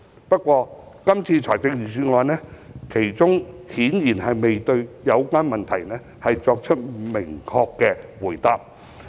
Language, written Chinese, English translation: Cantonese, 不過，今年的預算案中顯然未有明確回答上述問題。, However this years Budget has apparently failed to provide a clear answer to this question